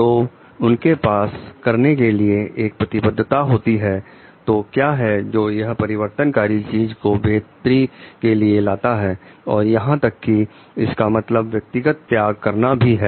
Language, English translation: Hindi, So, they have a commitment to do so what it takes to change things for a better even it means making personal sacrifices